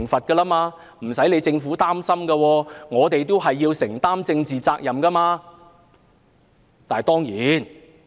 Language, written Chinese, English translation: Cantonese, 其實政府無須擔心，我們要承擔政治責任。, In fact the Government needs not worry for we have to be politically accountable